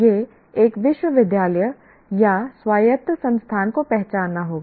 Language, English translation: Hindi, It is a university or the autonomous institution will have to identify